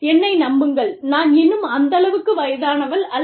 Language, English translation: Tamil, And, believe me, I am not that old, but still